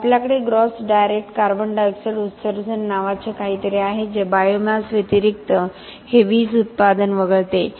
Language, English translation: Marathi, Then we have something called gross direct CO2 emissions which excludes this electricity production in addition to the biomass